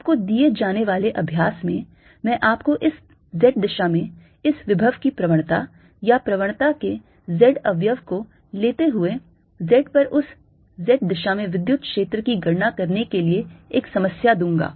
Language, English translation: Hindi, as simple as that in your assignment i will give you a problem: to calculate the electric field in that z direction, at z, by taking gradient of this potential in this z direction, or or the z component of the gradient